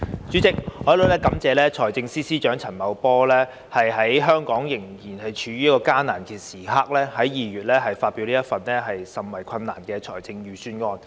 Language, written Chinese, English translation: Cantonese, 主席，我感謝財政司司長陳茂波在香港仍處於艱難時刻，在2月發表這份甚為困難的財政預算案。, President I wish to thank Financial Secretary FS Paul CHAN for delivering such a difficult Budget in February when Hong Kong was still in a difficult time